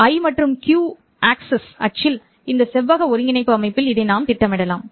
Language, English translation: Tamil, I can plot this in the rectangular coordinate system in the I and Q axis